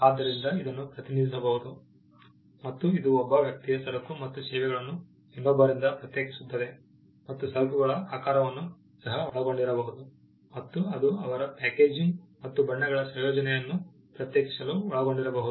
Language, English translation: Kannada, So, it can be represented, and it distinguishes goods and services of one person from those of the other, and may include shape of goods, it may include their packaging and combination of colours